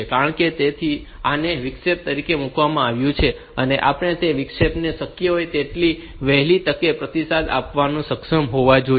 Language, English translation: Gujarati, Because that is why this has been put as an interrupt, we should be able to respond to that interrupts as soon as possible